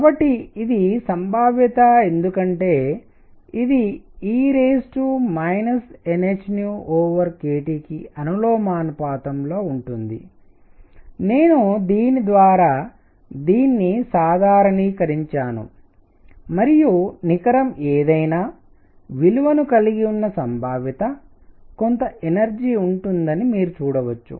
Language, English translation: Telugu, So, this is the probability because this is proportional to e raised to minus n h nu by k T, I normalized it by this and you can see that the net the probability of having any value is going to be one; some energy, right